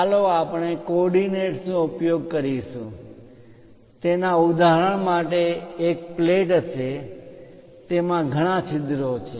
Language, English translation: Gujarati, Let us consider a example of using coordinates would be for a plate that has many holes in it